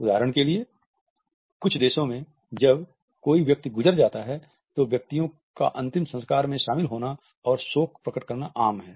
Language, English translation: Hindi, For example, in some countries when a person passes away it is common for individuals to attend a funeral and show grief